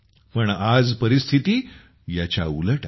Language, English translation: Marathi, But, today the situation is reverse